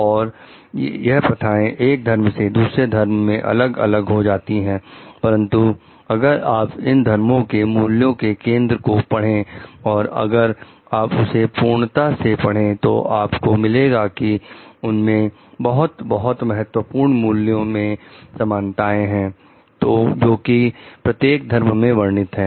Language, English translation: Hindi, And practices may vary from religion to religion, but if we study the core of the values of the religion and if you study throughout, you will find there is lot and lot of similarity in the key values which are mentioned for every religion